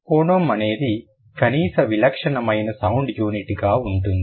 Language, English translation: Telugu, The phoneme would be the minimal distinctive sound unit, right